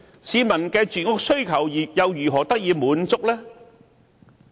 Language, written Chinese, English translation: Cantonese, 市民的住屋需求又如何得以滿足呢？, How can we address peoples housing demands then?